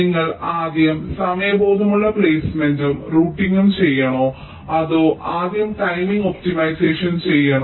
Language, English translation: Malayalam, shall you do placement and routing that are timing aware first, or shall you do the timing optimization first